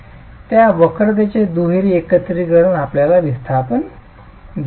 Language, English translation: Marathi, Double integration of that curvature can give us the displacements